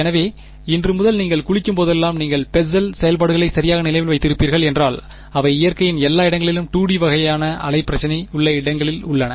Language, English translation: Tamil, So, from today whenever you have a bath you will remember Bessel functions right, because they are everywhere in nature wherever there is a 2 D kind of a wave problem